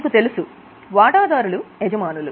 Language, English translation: Telugu, We have got shareholders as the owners